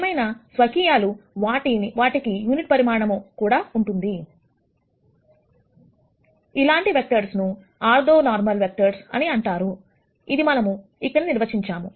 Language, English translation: Telugu, However now individually, they also have unit magnitude such vectors are called are orthonormal vectors, that we have defined here